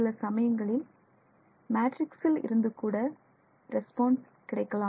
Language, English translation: Tamil, So, under some circumstances there will be a response from the matrix also